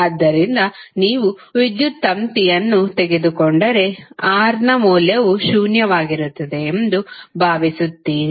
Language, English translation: Kannada, So, ideally if you take electrical wire you assume that the value of R is zero